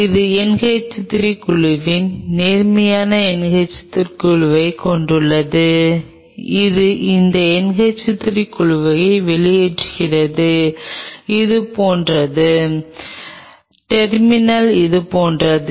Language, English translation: Tamil, This has bunch of NH 3 groups positive NH 3 groups which are popping out these NH 3 groups are like this they are popping out like this from the terminal